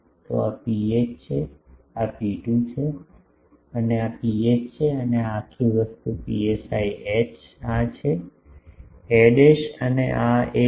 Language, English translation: Gujarati, So, this is rho h, this is rho 2 and this is P h and this is this whole thing psi h this is a dashed and this is a